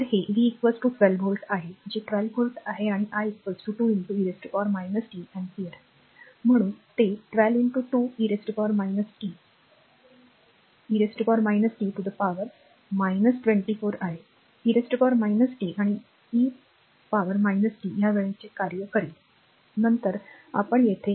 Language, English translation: Marathi, So, it is v is equal to 12 volt it is 12 volt right and i is equal to 2 into e to the power minus t ampere therefore, it is 12 into 2 e to the power minus t 24 e to the power minus t watt these a time function, later we will see in ac circuit time function we will see, but just to give you a flavor